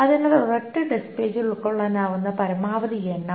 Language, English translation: Malayalam, So that is the maximum that it can fit in a single disk